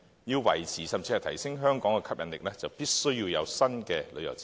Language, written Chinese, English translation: Cantonese, 要維持甚至提升香港的吸引力，就必須有新的旅遊設施。, To maintain and even enhance Hong Kongs appeal new tourist facilities must be developed